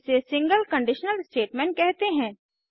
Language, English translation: Hindi, It is called a single conditional statement